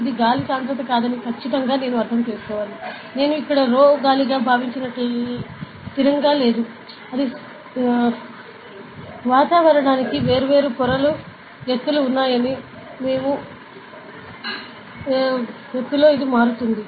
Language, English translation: Telugu, So, it should be understood that this is not exactly like the density of air is not a constant like I assumed here as rho air, it is not constant; it varies with the altitude you know that there is different layers heights for atmosphere